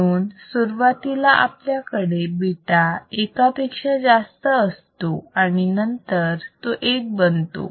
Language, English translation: Marathi, So, initially we will have a beta greater than one and then it becomes a beta equal to 1, right